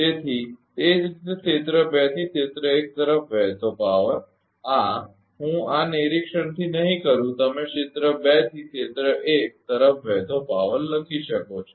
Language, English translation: Gujarati, Therefore, similarly power flowing from area 2 to area 1, this is I am not doing from this inspection you can write power flowing from area 2 to area 1